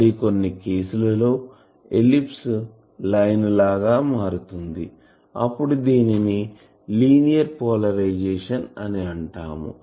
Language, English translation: Telugu, Sometimes that ellipse becomes a line that time we call it a linear polarisation